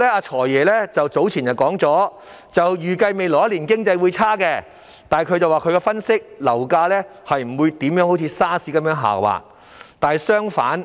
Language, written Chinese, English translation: Cantonese, "財爺"早前表示，預計未來1年經濟轉差，但根據他的分析，樓價不會如 SARS 的時候那樣下滑。, The Financial Secretary predicted earlier that the economic conditions would deteriorate in the coming year but his analysis was that property prices would not slump as they did during the SARS outbreak